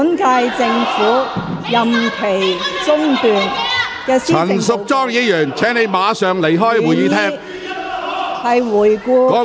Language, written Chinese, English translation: Cantonese, 陳淑莊議員，請你立即離開會議廳。, Ms Tanya CHAN please leave the Chamber immediately